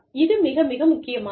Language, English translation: Tamil, Very, very important